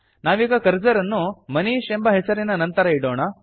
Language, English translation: Kannada, Let us place the cursor after the name,MANISH